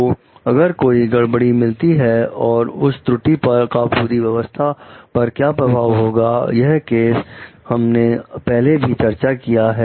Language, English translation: Hindi, Like it is like if an error is found, what will be the impact of that error on the total system; we have discussed this cases earlier also